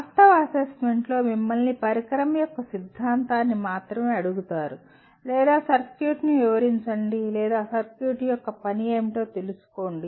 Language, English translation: Telugu, But in actual assessment you only ask the theory of a device or describe a circuit or find out what is the function of the circuit